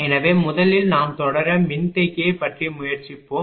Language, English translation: Tamil, So, now first we will try about the series capacitor